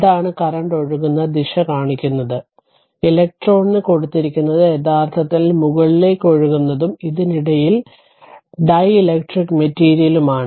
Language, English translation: Malayalam, So, it is this is this is shown the direction of the current that current flows; and electron it is given that flowing upward actually and in between this is your dielectric material